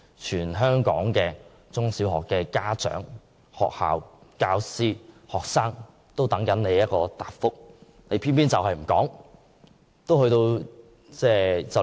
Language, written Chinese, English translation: Cantonese, 全港中小學家長、教師和學生都在等待她的答覆，但她卻偏偏不說。, Parents teachers and students in primary and secondary schools in Hong Kong are waiting for her answer but the Chief Executive does not tell us